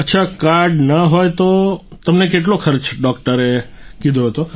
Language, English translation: Gujarati, Ok, if you did not have the card, how much expenses the doctor had told you